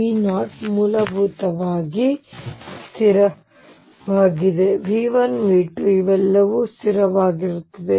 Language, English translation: Kannada, V 0 is basically a constant, and V n V 1 V 2, all these are constants